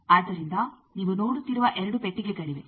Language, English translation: Kannada, So, there are two boxes you are seeing